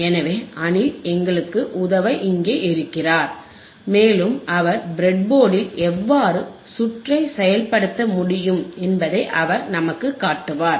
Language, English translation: Tamil, So, Anil is here to help us, and he will be he will be showing us how the circuit you can be implemented on the breadboard